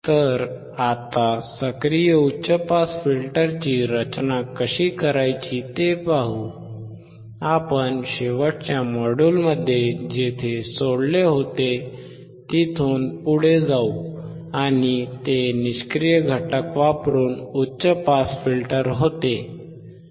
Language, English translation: Marathi, So, let us now see if we want to design, active high pass we continue where we have left in the last module, and that was high pass filter using passive components